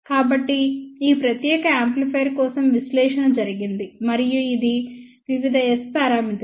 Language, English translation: Telugu, So, for this particular amplifier, analysis has been done and these are the various s parameter